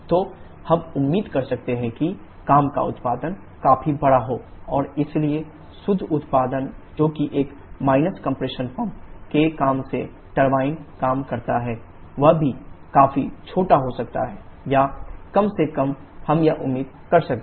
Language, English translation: Hindi, So we can expect the work output to be quite large and therefore the net output that is turbine work by 1 minus compression pump work can also be significantly small or at least we can expect that